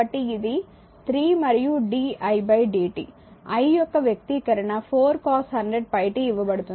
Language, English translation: Telugu, So, it is 3 and ddt di is given the expression of i is given 4 cos 100 pi t